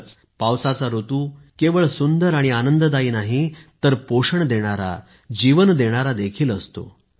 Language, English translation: Marathi, Indeed, the monsoon and rainy season is not only beautiful and pleasant, but it is also nurturing, lifegiving